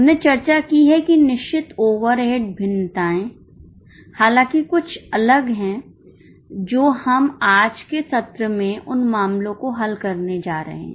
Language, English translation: Hindi, We had discussed that fixed overhead variances however are slightly different which we are going to solve cases on in the today's session